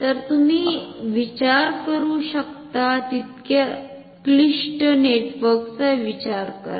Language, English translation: Marathi, So, think of very complicated network as a complicated as you can think of